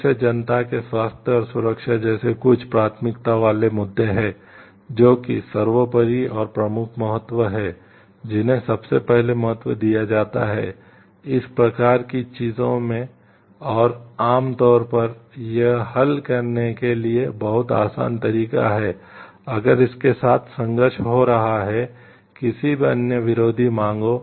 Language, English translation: Hindi, There are certain priority issues like again health and safety of the public at large which is the paramount and prime importance which to given importance first, in these kind of things and generally it is very easy way to solve if it is having a conflict with any other conflicting demands